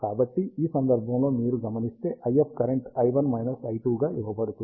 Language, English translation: Telugu, So, in this case, if you observe, the IF current is given as i 1 minus i 2